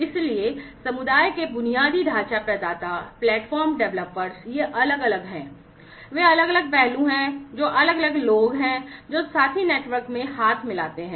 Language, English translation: Hindi, So, the community the infrastructure providers, the platform developers, these are different, you know, they are the different aspects that different people that join hands in the partner network